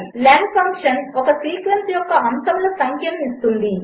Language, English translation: Telugu, len function gives the no of elements of a sequence